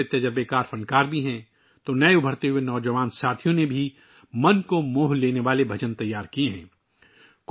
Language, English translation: Urdu, There are many experienced artists in it and new emerging young artists have also composed heartwarming bhajans